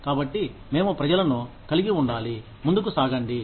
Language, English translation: Telugu, So, we need to have people, move on